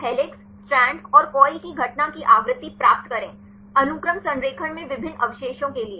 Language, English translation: Hindi, So, get the frequency of occurrence for the helix, strand and coil; for the different residues in the sequence alignment